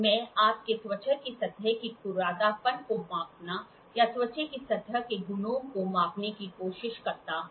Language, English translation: Hindi, I give you a skin try to measure the surface roughness or measure the surface properties of the skin